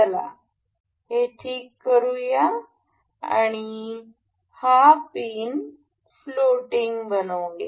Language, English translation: Marathi, Let us fix this one and make this pin as floating, right